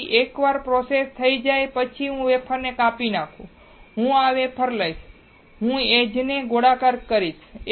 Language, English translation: Gujarati, So, the process is once I slice the wafer, I will take this wafer and I will do the edge rounding